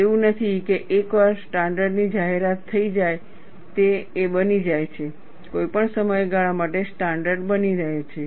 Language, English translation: Gujarati, It is not, once a standard is announced, it becomes a, remains a standard for any length of time